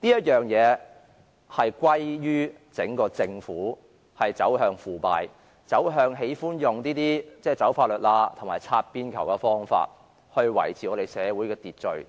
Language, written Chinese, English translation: Cantonese, 這可歸咎於整個政府走向腐敗、走向喜歡"走法律罅"及採用"擦邊球"的方法來維持社會秩序。, This can be attributed to the entire society moving towards depravity and becoming more inclined to exploit loopholes in law and play edge balls as ways to maintain law and order in society